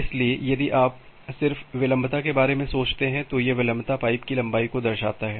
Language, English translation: Hindi, So, if you just think about the latency; so, this latency denotes the length of the pipe